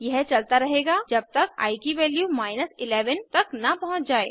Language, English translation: Hindi, This goes on till i reaches the value 11